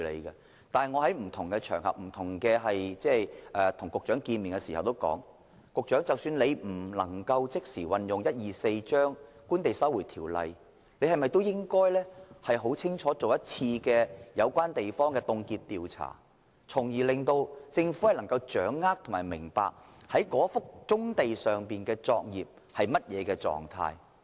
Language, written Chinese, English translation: Cantonese, 然而，我在不同場合亦曾向局長表示，即使當局不能即時引用《收回土地條例》，但是否應該先進行一次有關土地的凍結調查，讓政府能夠更清楚掌握某幅棕地上的作業處於甚麼狀態？, Nonetheless as I told the Secretary on a number of occasions although the Lands Resumption Ordinance Cap . 124 cannot be invoked immediately is it possible for the authorities to conduct a freezing survey on the relevant sites first so that the Government can have a clearer picture of the state of undertakings on a particular brownfield site?